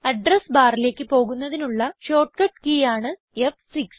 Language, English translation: Malayalam, The short cut key to go to the address bar is F6